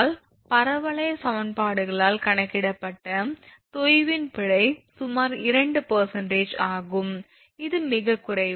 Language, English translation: Tamil, 1 L then the error in sag computed by the parabolic equations is about 2 percent that is also quite less anyway